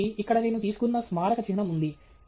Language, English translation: Telugu, So, here we have a monument which I have taken